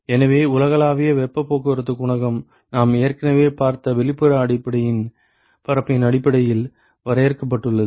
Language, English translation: Tamil, So, the universal heat transport coefficient defined based on the outside surface area we have already seen this ok